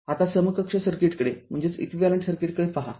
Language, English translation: Marathi, Now, look at the equivalent circuit